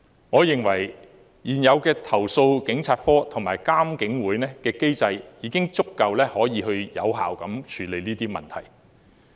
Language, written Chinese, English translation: Cantonese, 我認為現有的投訴警察課和獨立監察警方處理投訴委員會的機制已能有效地處理這些問題。, I believe the existing mechanism composed of the Complaints Against Police Office and the Independent Police Complaints Council can deal with these matters effectively